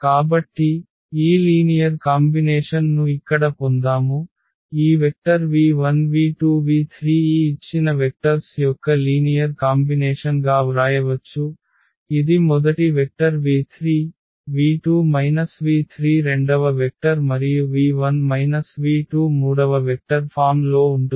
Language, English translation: Telugu, So, we got this linear combination here that this any vector v 1 v 2 v 3 we can write down as a linear combination of these given vectors in the form that v 3 the first vector, v 2 minus v 3 the second vector and v 1 minus v 2 this third vector